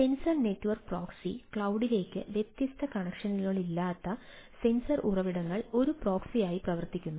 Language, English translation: Malayalam, sensor network proxy for sensor resources that do not have different connection to the cloud